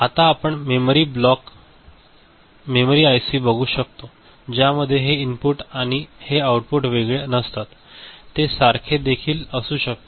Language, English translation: Marathi, Now, we can see memory blocks memory ICs in which these input and output are not separate; they could be common also ok